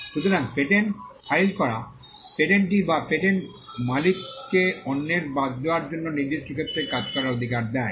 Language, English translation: Bengali, So, filing a patent gives the patentee or the patent owner, the right to work in a particular sphere to the exclusion of others